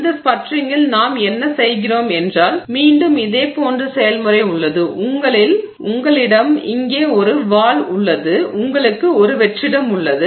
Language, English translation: Tamil, So, in sputtering what we do is there is a very similar process again you have a valve here and then you have vacuum